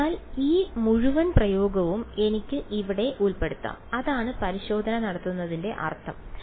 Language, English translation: Malayalam, So, this whole expression I can put inside over here that is the meaning of doing testing